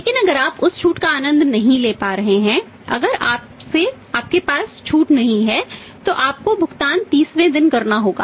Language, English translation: Hindi, But if you are not able to enjoy that discount, if you do not have the discount then you have to make the payment was on 30th day